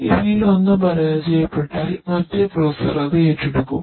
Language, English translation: Malayalam, If one of these fails the other processor will take over it